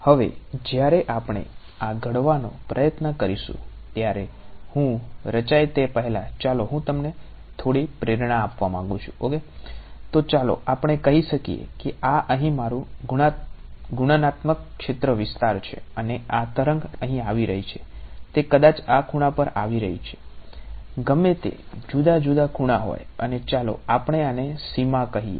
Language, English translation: Gujarati, So, let us say that this is my computational domain over here and this wave is coming over here may be it's coming at this angle whatever variety of different angels and I am talking about let us say this boundary